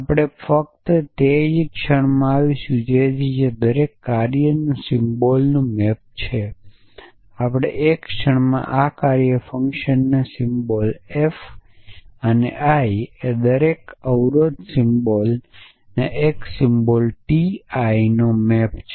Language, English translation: Gujarati, So, we will just come to that in a moment essentially likewise every function symbol is map to we will come to this in a moment a function symbol f I and every constraint symbol is map to a constraint symbol t I